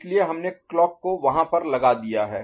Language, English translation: Hindi, So, we have put the clock over there, right